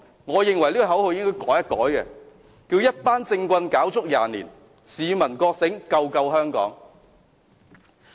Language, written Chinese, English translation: Cantonese, 我認為這口號應改為"一班政棍，搞足廿年；市民覺醒，救救香港"。, As I see it this slogan should be changed to A bunch of political tricksters disruption for 20 years; People awakening rescue Hong Kong